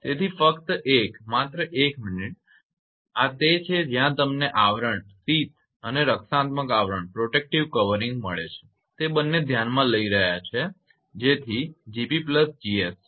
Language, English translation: Gujarati, So, in the just 1 just 1 minute, this is actually where what you call that we are considering both sheath and the protective covering that is G p plus G s